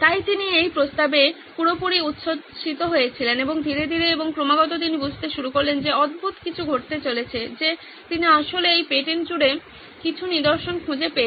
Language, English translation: Bengali, So he was totally excited by this proposition and slowly and steadily he started realizing that there was something strange going on that he actually found out certain patterns across this patents